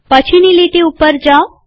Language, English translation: Gujarati, Go to the next line